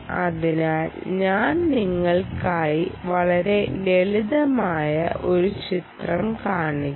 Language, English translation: Malayalam, so let me just put down a very simple picture for you